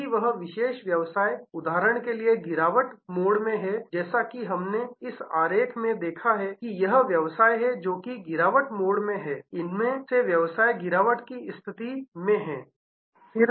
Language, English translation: Hindi, If that particular business is in the decline mode like for example, as we saw in this diagram suppose this is the business, which is in the decline mode of these are the business is in the decline mode